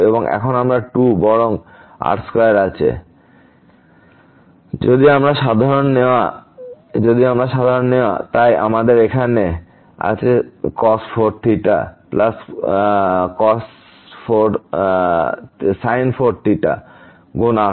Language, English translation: Bengali, And now we have 2 or rather square if we take common; so we have here cos 4 theta plus sin 4 theta times square